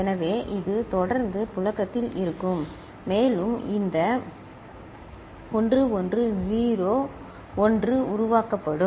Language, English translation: Tamil, So, this is the way it will keep circulating and this pattern 1 1 0 1 will keep getting generated